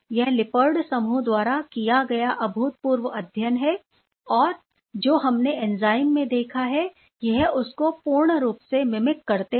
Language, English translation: Hindi, This is the phenomenal studies by Lippard group which exactly mimic what we have seen in the enzyme